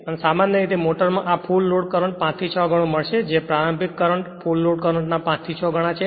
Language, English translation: Gujarati, So, generally in a motor you will find this 5 to 6 times the full load current that is the starting current right starting current is 5 to 6 time the full load current